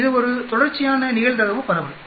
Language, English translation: Tamil, It is a continuous probability distribution